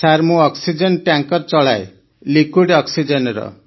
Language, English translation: Odia, Sir, I drive an oxygen tanker…for liquid oxygen